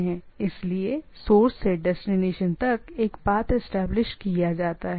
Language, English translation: Hindi, So, a path is established from source to destination